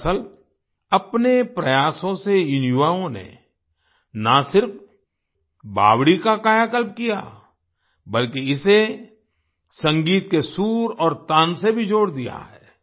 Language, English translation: Hindi, In fact, with their efforts, these youths have not only rejuvenated the step well, but have also linked it to the notes and melody of the music